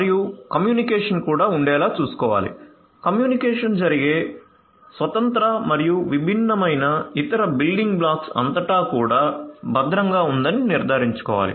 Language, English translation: Telugu, And will have to ensure that the communication itself the communication the communication that takes place itself across the different independent and different other building blocks those are also secured